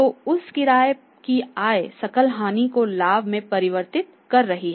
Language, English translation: Hindi, So, that rent income is converting the gross loss into profit